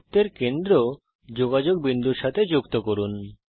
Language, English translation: Bengali, Join centre of circle to points of contact